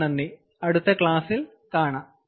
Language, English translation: Malayalam, thank you very much and we will see you in the next class